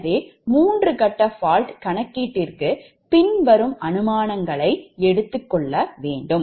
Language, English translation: Tamil, so for three phase fault calculation, following assumptions we have to make right